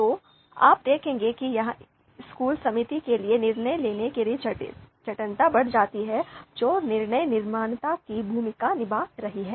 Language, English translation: Hindi, So you would see that that increases the complexity of the decision making for the you know school committee which is playing the role of decision maker